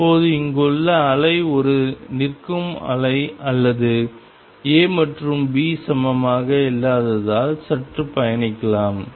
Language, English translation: Tamil, Now the wave out here is a standing wave or maybe slightly travelling because A and B are not equal